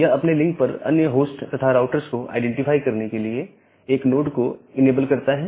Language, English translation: Hindi, So, it enables a node to identify the other host and routers on its links